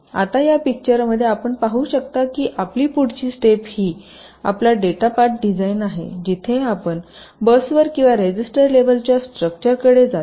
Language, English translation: Marathi, now in this diagram you see that your next step is your data path design where you come to the bus or the register levels, structures